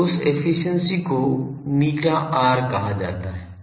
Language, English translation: Hindi, So, that efficiency is called eta r